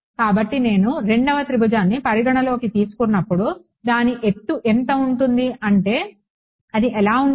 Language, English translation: Telugu, So, when I consider the second triangle what will be the height of I mean what will it look like